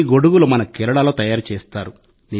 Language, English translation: Telugu, These umbrellas are made in our Kerala